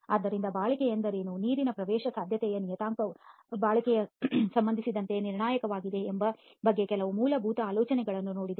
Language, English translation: Kannada, Okay, so having looked at some basic idea about what durability is and the fact that the control of water permeability is critical as far as durability is concerned